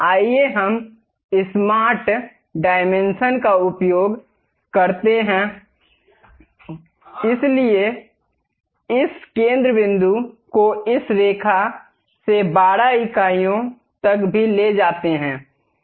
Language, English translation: Hindi, Let us use smart dimension, pick this center point to this line also 12 units